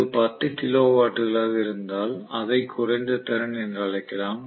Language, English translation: Tamil, So if it is tens of kilo watts we may still call it as low capacity